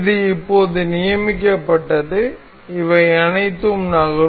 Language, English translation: Tamil, This is fixed now and all these are moving